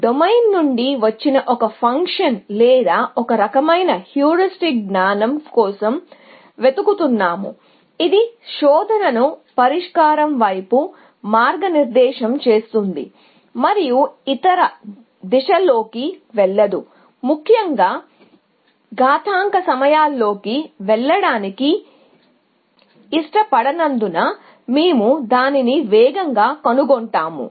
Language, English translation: Telugu, We were looking for a function or some kind of heuristic knowledge, which comes from the domain, which will guide the search towards the solution, and not go off in other directions, in the hope that we will find it faster, essentially, because we do not want to run into exponential times